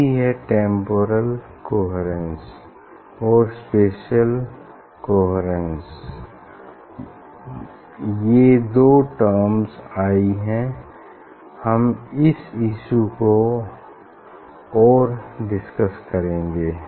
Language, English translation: Hindi, that is what this temporal coherence and spatial coherence these two terms have come up